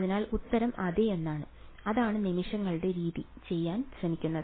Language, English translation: Malayalam, So, the answer is yes and that is what the method of moments tries to do